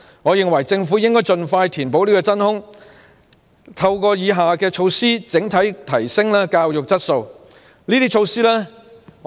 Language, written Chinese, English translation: Cantonese, 我認為政府應盡快填補真空，並透過以下措施整體提升教育質素。, I think the Government should fill the vacuum as soon as possible and enhance the quality of education through the following measures